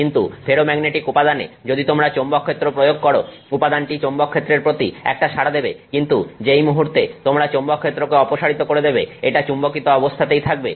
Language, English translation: Bengali, But in ferro magnetic materials you apply the magnetic field, it responds to the magnetic field but the moment you drop the magnetic field it continues to stay magnetized